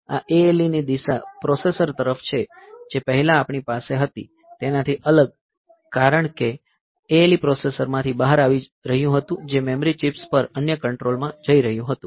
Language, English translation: Gujarati, So, this ALE direction is towards the processor, unlike previously what we had, was ALE was coming out from the processor going to the other control to the memory chips